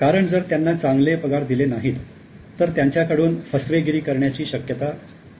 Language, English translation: Marathi, Because if they are not given good salary, there are more chances that they commit the fraud